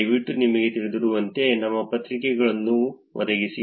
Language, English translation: Kannada, Please provide your responses to the best of your knowledge